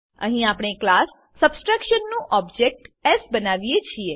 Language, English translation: Gujarati, Here we create an object s of class subtraction